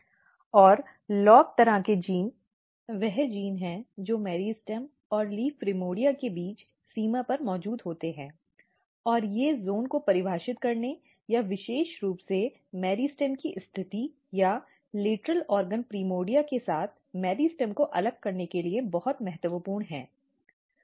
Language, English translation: Hindi, So, this is what happens here and another thing what I mentioned is that LOB kind of genes are the genes which are present at the boundary between meristem and the leaf primordia; and they are very very important to defining the zone or the specially positioning the meristem or separating meristem with the lateral organ primordia